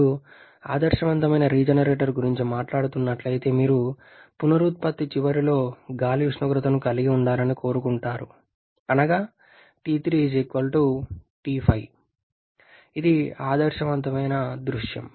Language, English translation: Telugu, If you are talking about an ideal regenerator then ideal you like to have the air temperature at the end of regeneration T3 to be equal to T5 that is this is the ideal scenario